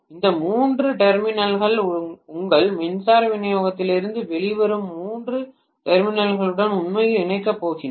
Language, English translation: Tamil, These three terminals are going to actually be connected to the three terminals which are coming out of your power supply